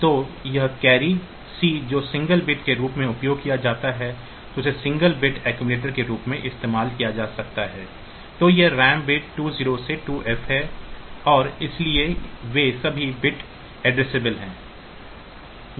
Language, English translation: Hindi, So, this carry flag a carry that is c that is used as single bit it can be used as a single bit accumulator and this ram bit 2 0 to 2 F so, they are all bit addressable